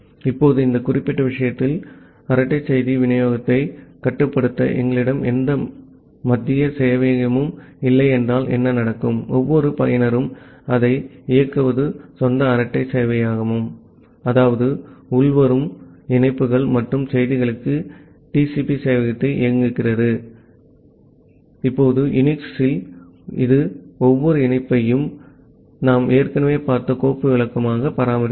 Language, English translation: Tamil, Now in this particular case, what may happen that we do not have any central server to control the chat message delivery, every user runs it is own chat server; that means, it runs the TCP server for incoming come incoming connections and messages, now in UNIX, it maintains every connection as a file descriptor that we have already seen